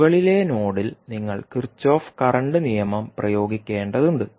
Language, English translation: Malayalam, You have to apply the Kirchhoff current law at the top node